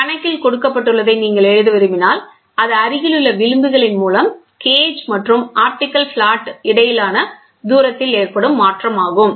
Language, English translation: Tamil, If you want to write down what is given in the problem, I will write it down the distance between the gauge and the optical flat changes by between adjacent fringes